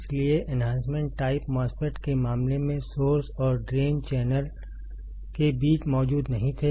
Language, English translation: Hindi, So, in the case of enhancement type MOSFET, the channels were not present between source and drain